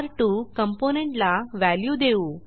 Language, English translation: Marathi, Let us assign value to R2 component